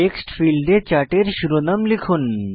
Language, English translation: Bengali, In the Text field, type the title of the Chart